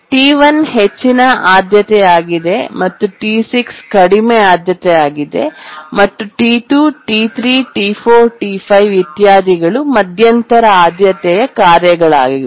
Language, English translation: Kannada, T1 is the highest priority and T6 is the lowest priority and T2, T3, T4, T 5 etc